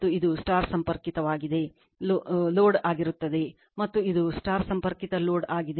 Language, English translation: Kannada, And this is star connected, load and this is star connected load